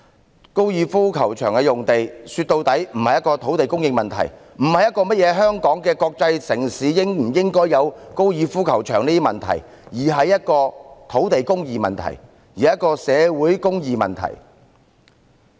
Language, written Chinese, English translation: Cantonese, 說到底，高爾夫球場用地並非土地供應問題，亦不是香港作為國際城市應否有高爾夫球場的問題，而是土地公義及社會公義的問題。, After all the question concerning the FGC site is not about land supply . Neither is it about whether Hong Kong being an international city should have a golf course . Instead it is about land justice and social justice